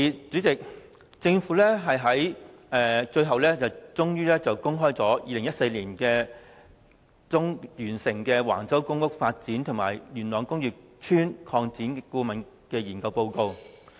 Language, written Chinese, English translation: Cantonese, 政府最後終於公開2014年年中完成的橫洲公共房屋發展及工業邨擴展規劃及工程研究報告。, Eventually the Government released the Report of the Planning and Engineering Study for the Public Housing Development and Yuen Long Industrial Estate Extension at Wang Chau which was completed in mid - 2014